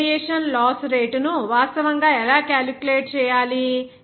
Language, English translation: Telugu, How to actually calculate the net radiation loss rate